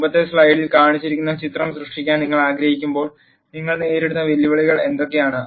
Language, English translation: Malayalam, What are the challenges that you face when you want to create figure that was shown in the earlier slide